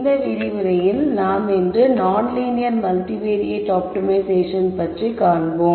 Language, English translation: Tamil, In this lecture we will look at multivariate optimization non linear optimization